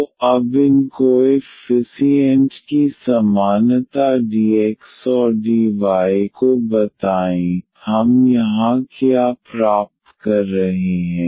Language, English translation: Hindi, So, equating these coefficients now of tell dx and dy, what we are getting here